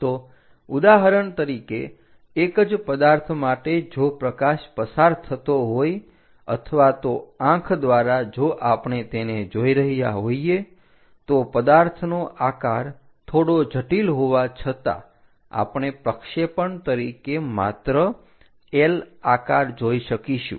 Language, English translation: Gujarati, So, for example, for the same object if light is passing or through the eye if we are observing for this, though the object might be slightly having complicated shape, but we will see only like that L shape for the projection